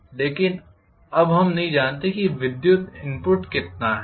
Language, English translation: Hindi, But now we do not know how much is the electrical input